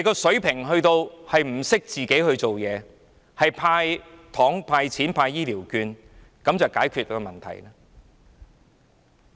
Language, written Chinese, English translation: Cantonese, 水平低至不懂怎樣去做，要"派糖"、"派錢"、派醫療券，以為這樣便可以解決問題。, Its level is so low that it does not even know what to do but simply gives away candies money and elderly health care vouchers thinking that this is the solution to the problem